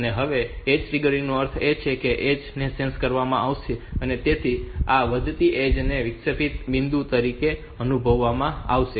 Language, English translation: Gujarati, On the edge triggered means the edge will be sensed, so this rising edge will be sensed as the interrupting point